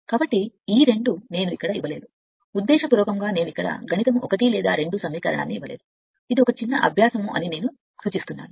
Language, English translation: Telugu, So, these two this two I did not give here intentionally I did not give here the mathematics 1 or 2 equation, I suggest this is a small exercise for you right